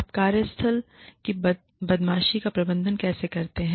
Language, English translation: Hindi, How do you manage, workplace bullying